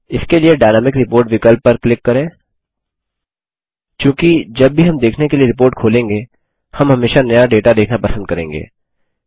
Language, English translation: Hindi, For this, let us click on the Dynamic Report option, as we would always like to see the latest data, whenever we open the report for viewing